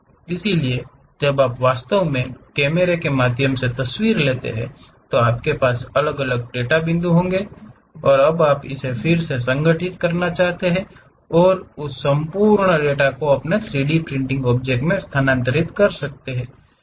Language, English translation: Hindi, So, when you are actually taking pictures through cameras, you will be having isolated data points now you want to reconstruct it and transfer that entire data to your 3D printing object